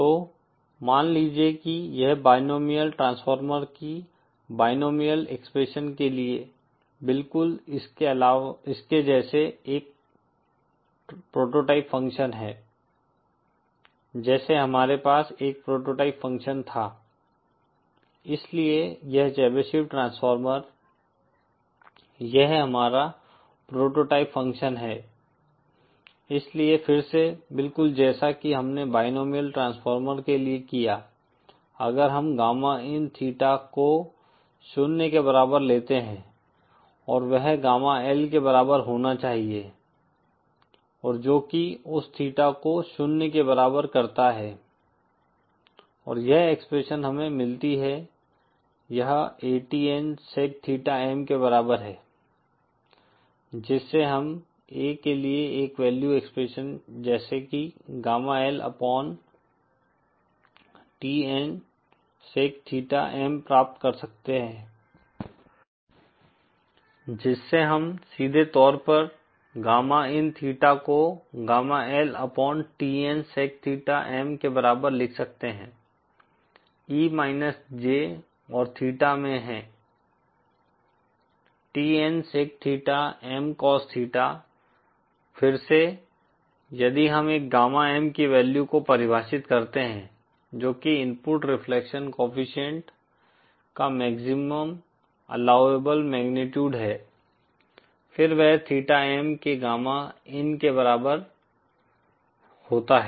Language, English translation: Hindi, So suppose this is a prototype function just like for the binomial expression of the binomial transformer we had a prototype function, so this Chebyshev transformer this is our prototype function so again just like we did it like the binomial transformer if we take gamma in theta is equal to zero and that should be equal to gamma L and that substituting theta is equal to zero and this expression we get this is equal to ATN sec theta M from which we can derive a value expression for A as gamma L upon TN sec theta M